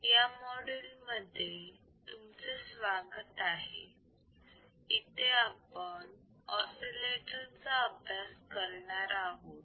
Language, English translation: Marathi, Welcome to this particular module and the lecture is on oscillators